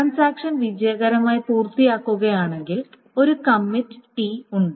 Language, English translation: Malayalam, And then if the transaction commits, then successfully, then there is a commit T